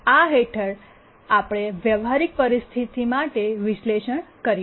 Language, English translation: Gujarati, So under that we can do an analysis for a practical situation